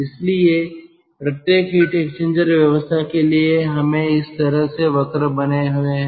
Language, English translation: Hindi, so for each and every heat exchanger, ah arrangement, we have got curves like this